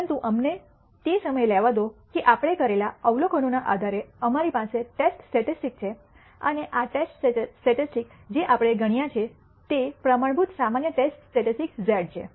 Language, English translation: Gujarati, But let us for the time being take it that we have a test statistic based on the observations we have made and this test statistic that we have computed is the standard normal test statistic z